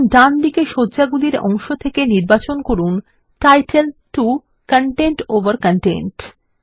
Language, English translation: Bengali, Now, from the layout pane on the right hand side, select title 2 content over content